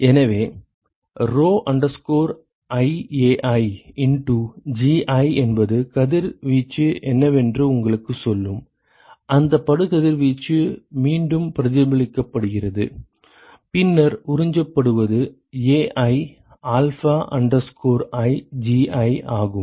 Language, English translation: Tamil, So, rho iAi into Gi will tell you what is the irradiation, that is incident is reflected back and then what is absorbed is Ai alpha i Gi